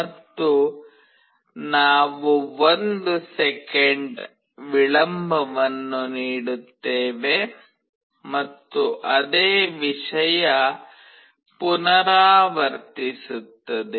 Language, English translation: Kannada, And, we give a delay of 1 second and the same thing repeats